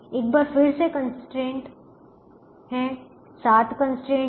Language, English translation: Hindi, once again, the constraints are there, seven constraints now